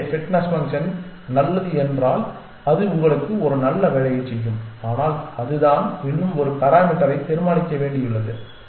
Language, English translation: Tamil, So, the fitness function if it is good it will do a good job for you essentially, but there is still one more parameter to be decided and that is